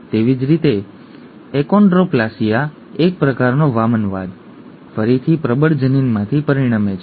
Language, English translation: Gujarati, Similarly achondroplasia, a type of dwarfism, results from a dominant allele again